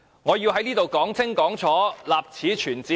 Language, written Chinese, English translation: Cantonese, 我要在這裏說得清清楚楚，立此存照。, I must make this point here most clearly for the record